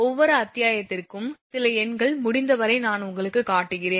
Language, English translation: Tamil, Some numericals for every chapter as many as possible I am showing you such that you can